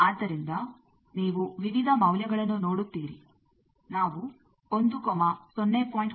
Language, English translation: Kannada, So, you see various values we have shown 1, 0